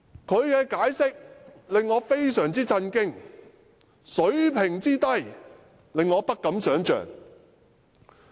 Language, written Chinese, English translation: Cantonese, 他的解釋令我非常震驚，這人水平之低，令我不敢想象。, His explanation is really shocking and I dare not imagine how inept he actually is